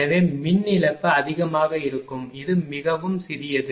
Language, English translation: Tamil, So, power loss will be higher it is much smaller much improved